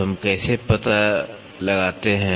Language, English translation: Hindi, So, how do we figure out